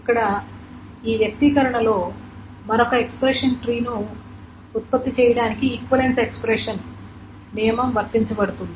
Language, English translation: Telugu, And equivalence expression rule is being applied to generate another expression tree